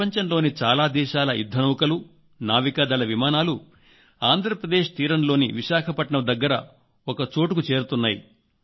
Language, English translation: Telugu, Warships, naval ships of many countries are gathering at the coastal region of Vishakapatnam, Andhra Pradesh